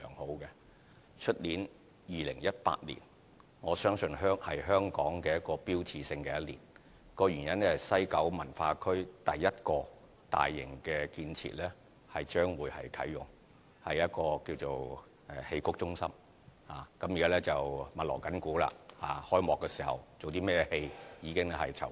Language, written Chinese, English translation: Cantonese, 我相信明年2018年是香港標誌性的一年，原因是西九文化區第一個大型建設將會啟用，就是戲曲中心，現正密鑼緊鼓，開幕時上演的劇目現正籌備中。, I believe that next year that is 2018 will be an iconic year for Hong Kong as it will mark the commissioning of the first major facility in the West Kowloon Cultural District which is the Xiqu Centre . We are currently very busy preparing the repertoire for the opening ceremony